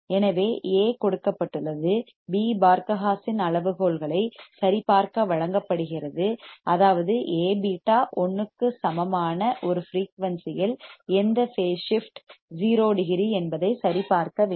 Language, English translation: Tamil, So, A is given, beta is given to verify Barkhausen criteria which means we must verify A beta equal to 1 at a frequency for which phase shift 0 degree